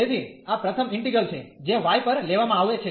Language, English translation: Gujarati, So, this is the first integral, which is taken over y